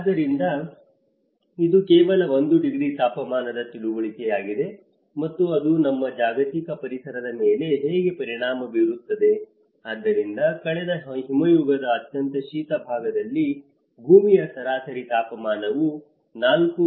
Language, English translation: Kannada, So, this is just an understanding of 1 degree temperature and how it will have an impact on our global environment, so that is what in the coldest part of the last ice age, earth's average temperature was 4